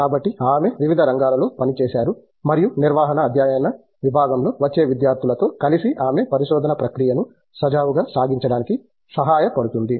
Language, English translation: Telugu, So, variety of areas that she works on and she also works with the incoming students in the department of management studies to help them get into the research process in a smooth manner